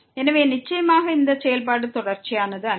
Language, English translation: Tamil, So, certainly this function is not continuous